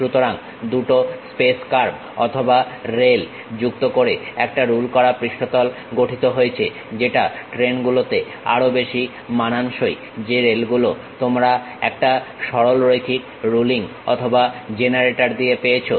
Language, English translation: Bengali, So, a ruled surface is generated by joining two space curves or rails is more like a trains the rails what you have with a straight line ruling or generator